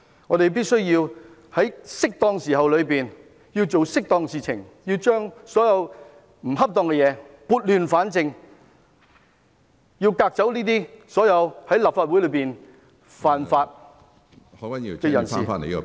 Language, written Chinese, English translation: Cantonese, 我們必須在適當的時候做適當的事情，把所有不恰當的事情撥亂反正，革走所有在立法會犯法的人士。, We must do the right thing at the right time by rectifying all the inappropriate matters and expelling all those who have broken the law in the Legislative Council